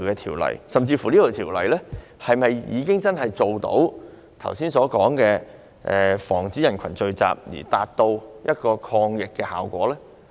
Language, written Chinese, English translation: Cantonese, 《條例》下的有關規例是否真的做到剛才所說防止人群聚集的抗疫效果呢？, Can this Regulation under the Ordinance really achieve the just mentioned anti - epidemic effect of preventing group gatherings?